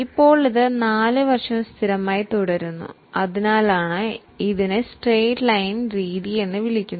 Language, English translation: Malayalam, Now, this remains constant for all the 4 years, that's why it is called as a straight line method